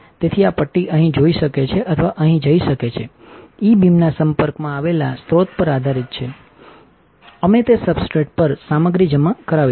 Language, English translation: Gujarati, So, this bar can go here or can go here, depend on the source that is exposed to E beam we will get the material deposited onto the substrate